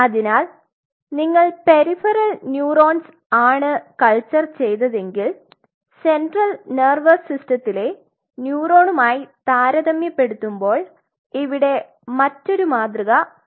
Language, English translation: Malayalam, So, if you are culturing peripheral neurons and you have to follow a different paradigm as compared to if you are following a central nervous system neuron